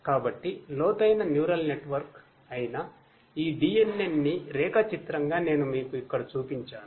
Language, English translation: Telugu, So, diagrammatically I show you over here that this DNN which is the deep neural network